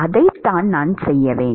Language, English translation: Tamil, That is what I need to do